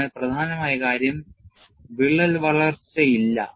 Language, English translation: Malayalam, So, essentially there is no significant crack growth